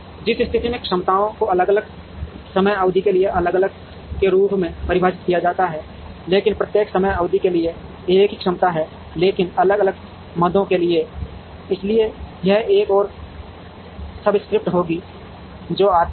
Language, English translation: Hindi, In which case, the capacities may be defined as different, for different time periods, but same capacity for each time period, but for different items, so this would have one more subscript that comes